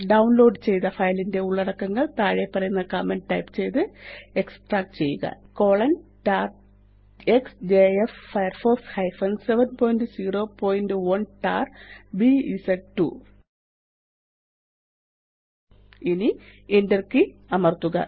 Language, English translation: Malayalam, Extract the contents of the downloaded file by typing the following command#160:tar xjf firefox 7.0.1.tar.bz2 Now press the Enter key